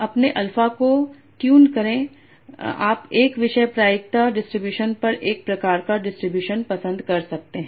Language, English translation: Hindi, So by tuning your alpha you can prefer one topic probability, one sort of distribution over the distribution